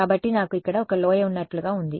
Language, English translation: Telugu, So, its like I have one valley over here right